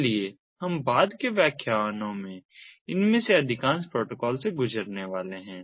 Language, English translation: Hindi, so we are going to go through most of these protocols in the subsequent lectures